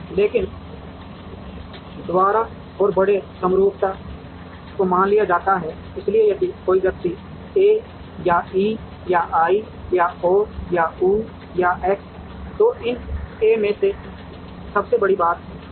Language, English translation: Hindi, But, by and large symmetry is assumed, so if someone marks and A or E or I or O or U or X then, out of these A is the biggest thing